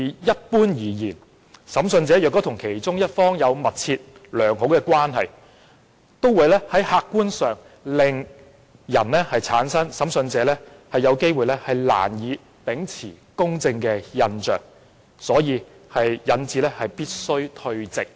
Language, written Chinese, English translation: Cantonese, "一般而言，如果審訊者與訴訟雙方其中一方有密切、良好的關係，會令人產生審訊者難以秉持公正的印象，所以必須退席。, Generally speaking if an investigator has a close and good relationship with either party of the proceeding it will give people an impression that it might be difficult for the investigator to uphold justice he or she must therefore withdraw from discussion